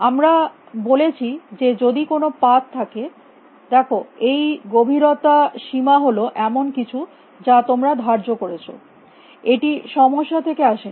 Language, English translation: Bengali, We said that if there is path see this depth bound is something that you have imposed it is does not come from the problem